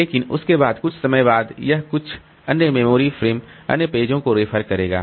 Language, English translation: Hindi, But after that, after some time, it will be referring to some other memory frames, other pages